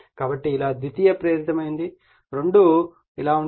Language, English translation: Telugu, So, this is your secondary induced both will be like this